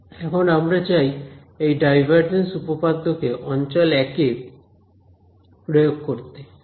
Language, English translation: Bengali, So, we need to now apply this divergence theorem to region 1 over here ok